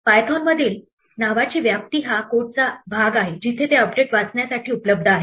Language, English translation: Marathi, The scope of a name in Python is the portion of the code where it is available to read an update